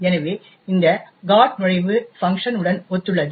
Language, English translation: Tamil, So, this particular GOT entry corresponds to the func